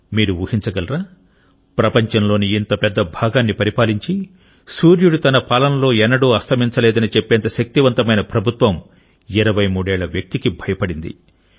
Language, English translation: Telugu, Can you imagine that an Empire, which ruled over a huge chunk of the world, it was often said that the Sun never sets on this empire such a powerful empire was terrified of this 23 year old